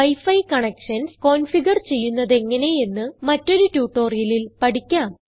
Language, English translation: Malayalam, You will learn about configuring wi fi connections in another tutorial